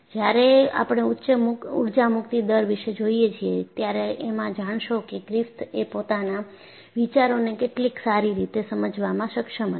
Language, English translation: Gujarati, When we look at the chapter on Energy release rate, we would be able to find out how conveniently he was able to extend the ideas of Griffith